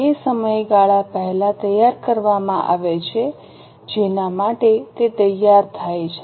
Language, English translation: Gujarati, It is prepared prior to the period for which it is prepared